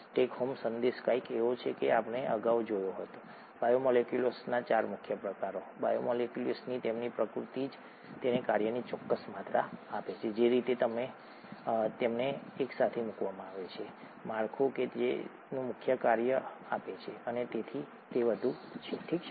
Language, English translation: Gujarati, The take home message is something that we saw earlier; the 4 major kinds of biomolecules, their the very nature of the biomolecules gives it a certain amount of function, the way they’re put together, the structure, gives it its major function and so on, okay